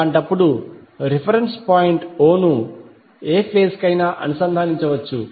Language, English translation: Telugu, So in that case the reference point o can be connected to any phase